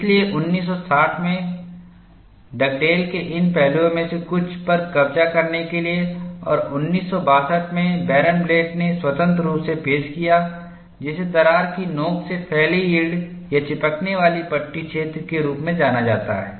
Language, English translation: Hindi, So, in order to capture some of these aspects Dugdale in 1960, and Barenblatt in 1962 independently introduced what are known as yielded or cohesive strip zones extending from the crack tip